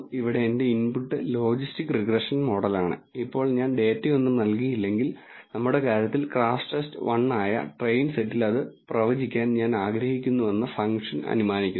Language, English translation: Malayalam, My input here is the logistic regression model, now if I do not give any data then the function assumes that I want to predict it on the train set which is crashTest underscore 1 in our case